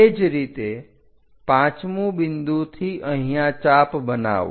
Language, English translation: Gujarati, Similarly, fifth point make an arc here